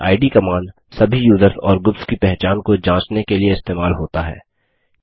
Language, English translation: Hindi, id command to know the information about user ids and group ids